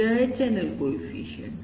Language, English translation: Hindi, this is the channel coefficient